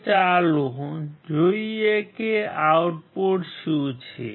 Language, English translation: Gujarati, Now, let us see what the output is